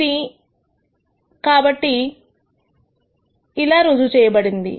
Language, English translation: Telugu, So, this has already been proved